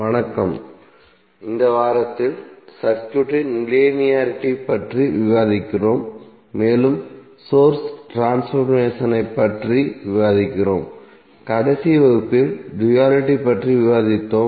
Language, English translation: Tamil, Namaskar, So in this week, we discuss about linearity of the circuit and then we discuss about the source transformation and in last class we discuss about duality